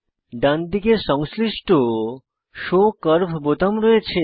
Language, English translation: Bengali, On the rightside corresponding Show curve buttons are seen